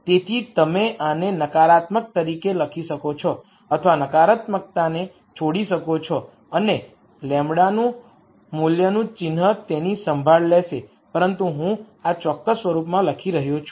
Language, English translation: Gujarati, So, you can write this as negative or drop the negative and the sign of the value lambda will take care of that, but I am writing in this particular form